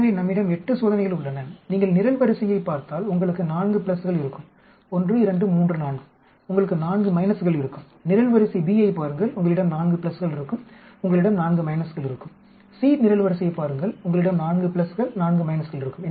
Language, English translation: Tamil, So we have 8 experiments, if you look at the column you will have 4 pluses 1, 2, 3, 4 you will have 4 minuses, look at column b you will have four pluses you will have 4 minuses, look at column c you will have 4 pluses 4 minuses